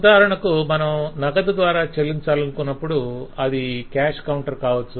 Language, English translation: Telugu, for example, if you are paying through cash, then it is just the cash counter